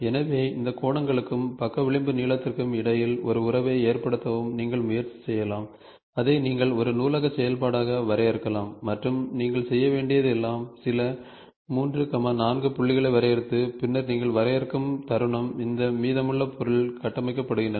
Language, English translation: Tamil, So, you can also try to establish a relationship between all these angles as well as the side edge length and you can define it as a primi you can library function and all you have to do is, define some 3, 4 points and then, moment you define this 3, 4 points the rest of the object is getting constructed